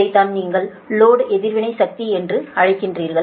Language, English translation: Tamil, this is that your what you call load reactive power